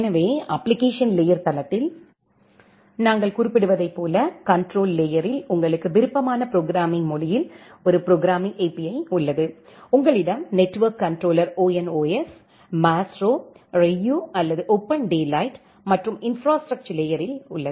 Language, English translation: Tamil, So, as we are mentioning at the application layer site, you have a programming API in your preferred programming language at the control layer, you have one of the network controller ONOS, Maestro, Ryu or OpenDaylight and at the infrastructure layer